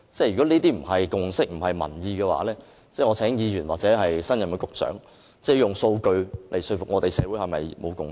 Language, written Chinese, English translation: Cantonese, 如果這些不是共識、不是民意的話，我請議員或新任局長以數據來說服我們，社會是否仍未有共識？, If these do not represent a society consensus or reflect public opinion I call on Members or the new Secretary to convince me with figures . Has a consensus yet to be reached in society?